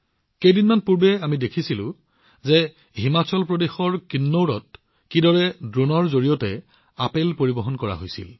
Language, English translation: Assamese, A few days ago we saw how apples were transported through drones in Kinnaur, Himachal Pradesh